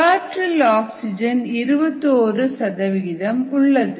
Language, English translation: Tamil, you have twenty one percent oxygen in the air